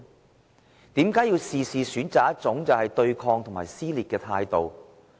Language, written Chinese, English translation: Cantonese, 為甚麼事事也要選擇一種對抗和撕裂的態度呢？, Why would he choose to adopt an attitude of confrontation and provoke dissension in every issue?